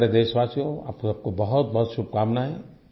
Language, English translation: Hindi, My dear fellow citizens, my heartiest best wishes to you all